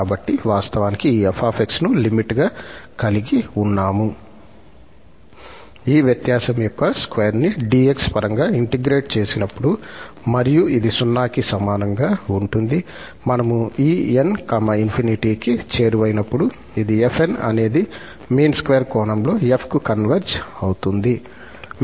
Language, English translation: Telugu, So, f minus f, actually we have this f as the limit of this fn, when we integrate the square of this difference over dx, and if this is equal to 0, when we take this n approaches to infinity then we say that this fn converges to f in the mean square sense